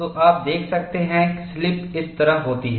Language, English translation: Hindi, So, you could see that slipping occurs like this